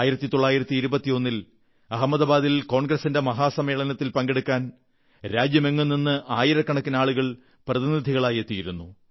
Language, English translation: Malayalam, In 1921, in the Congress Session in Ahmedabad, thousands of delegates from across the country were slated to participate